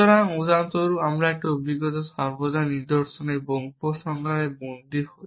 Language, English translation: Bengali, So, in a experience for example, is always captured in patterns and conclusions